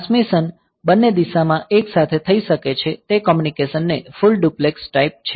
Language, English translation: Gujarati, So, transmission can take place in both the directions simultaneously; so, that is the full duplex type of communication